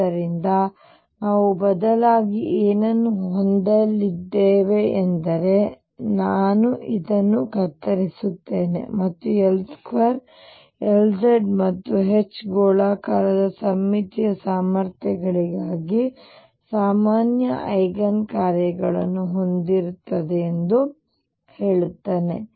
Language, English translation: Kannada, So, what we are going to have instead is I will just cut this and say that L square L z and H will have common eigen functions for spherically symmetric potentials